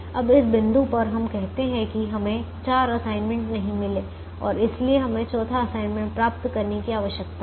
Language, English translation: Hindi, now at this point we said that we have not got four assignments and therefore we need to try and get the fourth assignment